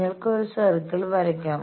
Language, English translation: Malayalam, So, you can draw a circle